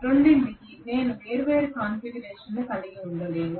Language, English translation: Telugu, I cannot have different configurations for both